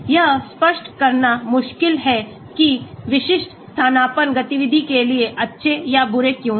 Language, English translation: Hindi, it is difficult to rationalize why specific substituent are good or bad for activity